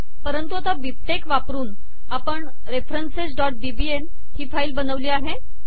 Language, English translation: Marathi, But using BibTeX we have now created the file references.bbl